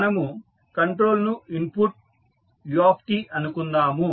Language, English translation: Telugu, So, let us say this is control is the input that is u t